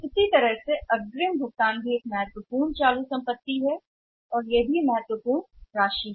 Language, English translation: Hindi, Similarly an advance payment is also important current asset and that is also significant amount